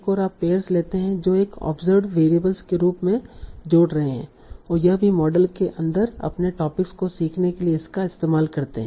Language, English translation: Hindi, Another is you take the pair which are linking as an observed variable and also use it for learning your topics inside the model itself